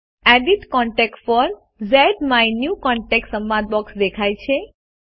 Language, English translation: Gujarati, The Edit Contact For ZMyNewContact dialog box appears